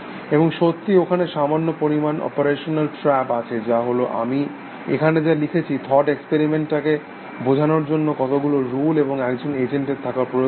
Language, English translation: Bengali, And of course, there is a little bit of an operational trap there, which is what I written here, how many rules will an agent need to have, for the thought experiment to be convincing essentially